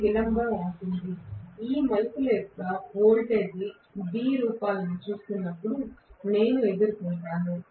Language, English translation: Telugu, This is going to be the delay; I would encounter when I am looking at the voltage B forms of each of these turns